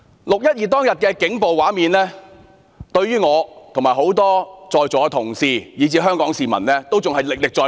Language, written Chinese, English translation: Cantonese, "六一二"當日的警暴畫面，對於我及在座多位同事以至香港市民均歷歷在目。, Scenes of police violence on 12 June are still vivid in my mind . Many Honourable colleagues present and people of Hong Kong should feel the same